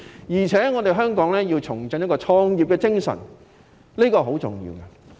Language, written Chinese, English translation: Cantonese, 而且，香港也要重振創業的精神，這是很重要的。, Moreover Hong Kong should reinvent its entrepreneurship and it is very important